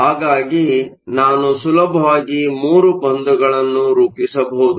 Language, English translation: Kannada, So, I can easily form a bond or 3 bonds